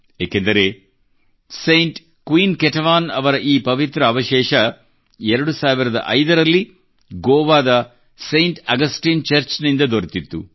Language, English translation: Kannada, This is because these holy relics of Saint Queen Ketevan were found in 2005 from Saint Augustine Church in Goa